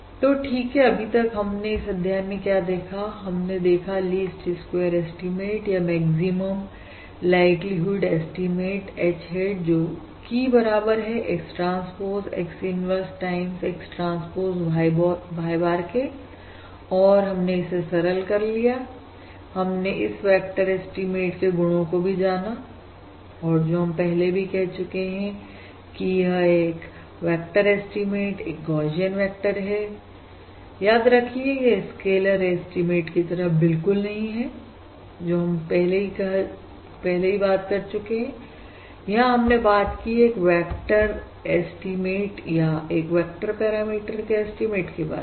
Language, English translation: Hindi, Alright, so what we have seen in this module is basically, we have looked at the least squares, or the maximum likelihood estimate, H hat, which is equal to X transpose X, inverse times, X transpose Y bar, and we have simplified, we have explored the properties of this vector estimate and, similar to before, we have said that: 1st, this vector estimate, it is a Gaussian vector, remember, unlike the scalar estimates that we have considered previously, now we are considering a estimate, a vector estimate or an estimate of a vector parameter